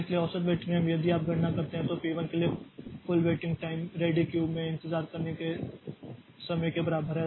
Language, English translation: Hindi, So, average waiting time if you calculate, so then for P 1 the total waiting time is equal to the time it is waiting in the ready queue